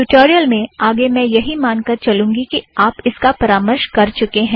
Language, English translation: Hindi, The rest of the tutorial assumes that you have gone through this